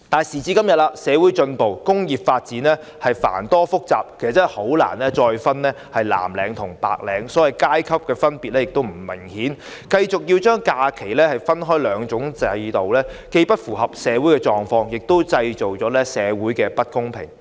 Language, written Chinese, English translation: Cantonese, 時至今天，社會進步，工種已發展至繁多複雜，難以再分藍領或白領，所謂的階級分別也不再明顯，繼續把假期分成兩種制度，既不符合社會狀況，也會製造社會不公平。, Along with social progress work types today have become multifarious and complex . It is difficult to differentiate between blue - collar and white - collar workers and class differences are no longer obvious . The continuation of two different holiday systems will not only fail to match social conditions but also create social inequality